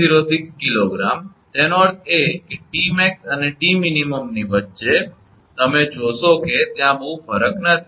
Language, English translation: Gujarati, 706 kg, that means, between T max and T min you will find there is not much difference